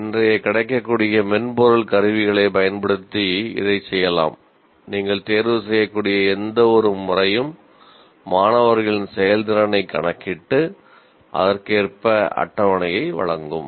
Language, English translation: Tamil, It can be done and especially using today's available software tools, any kind of mechanism that you can choose and it will compute the performance of the students accordingly and give you the table